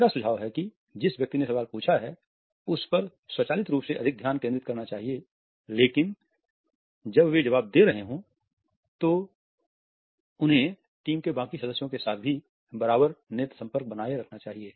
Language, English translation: Hindi, I would suggest that one should focus automatically more on the person who has asked the question, but while they are answering they should also maintain an equal eye contact with the rest of the team members also